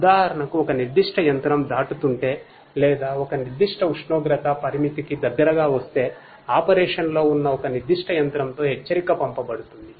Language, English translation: Telugu, For example, if a particular machine is crossing or become coming close to a particular temperature threshold then an alert could be sent in a particular you know machine in operation